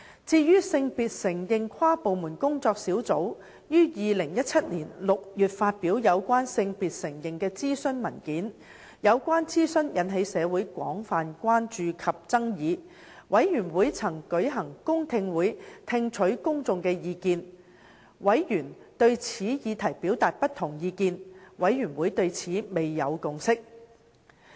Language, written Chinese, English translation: Cantonese, 至於性別承認跨部門工作小組於2017年6月發表有關性別承認的諮詢文件，有關諮詢引起社會廣泛關注及爭議，事務委員會曾舉行公聽會聽取公眾的意見；委員對此議題表達不同意見，事務委員會對此未有共識。, In regard to the Consultation Paper on Gender Recognition issued by the Inter - departmental Working Group on Gender Recognition in June 2017 the consultation caused much public concern and controversy and the Panel held a public hearing to gauge public opinions